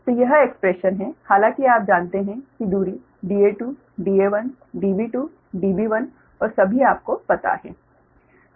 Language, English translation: Hindi, so this is the expression, although you know the distances, d a two, d a one, d b two, d b one and all are known to you right